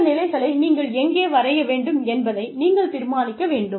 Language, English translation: Tamil, You have to decide, where you draw these levels